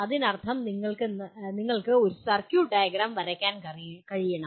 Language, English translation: Malayalam, That means you should be able to draw a circuit diagram